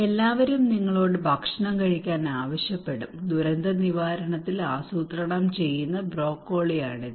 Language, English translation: Malayalam, Everybody would ask you to eat, it is a broccoli in planning in disaster risk management